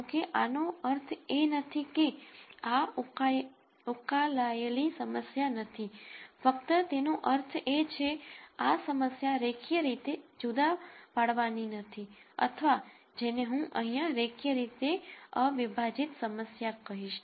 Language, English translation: Gujarati, However, this does not mean this is not a solvable problem it only means that this problem is not linearly separable or what I have called here as linearly non separable problems